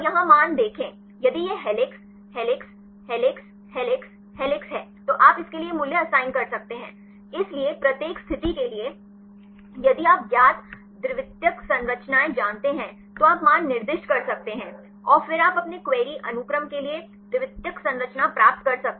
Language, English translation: Hindi, And see the values here if it is helix, helix, helix, helix, helix then you can assign this value for this; so for each positions, if have known secondary structures you can assign the values and then you can get the secondary structure for your query sequence